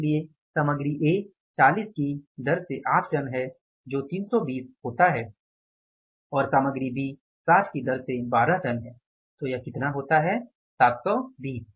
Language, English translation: Hindi, So, material A is 8 tons at the rate of 40, that is 320 and material B, 12 tons at the rate of how much